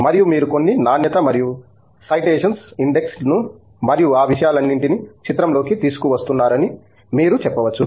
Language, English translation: Telugu, And, you may claim that you are bringing in some quality and citation index and all those things into picture in all that stuff